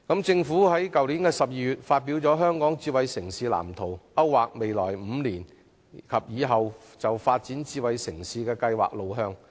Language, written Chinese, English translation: Cantonese, 政府在去年12月發表《香港智慧城市藍圖》，勾劃未來5年及以後發展智慧城市計劃的路向。, In December last year the Government released the Smart City Blueprint for Hong Kong to map out our smart city development plans in the next five years and beyond